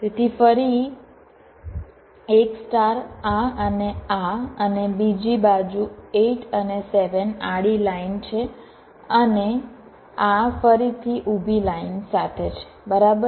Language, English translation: Gujarati, so again a star, this and this, and the other side, eight and seven, where horizontal line, and this again with the vertical line